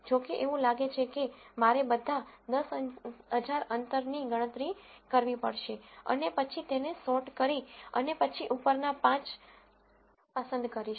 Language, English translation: Gujarati, However, it looks like I have to calculate all the 10,000 distances and then sort them and then pick the top 5